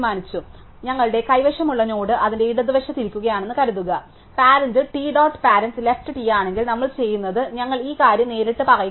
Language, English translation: Malayalam, So, supposing the node we have is sitting to the left of its parent, if t dot parent are left is t, then what we do is we make this point directly